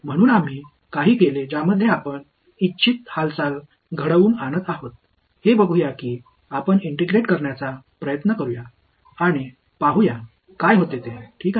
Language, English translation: Marathi, So, we have done some we were looking manipulation next let us try to integrate and see what happens ok